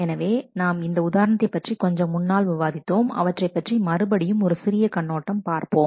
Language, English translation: Tamil, So, we had talked about this example a bit earlier again let us take a look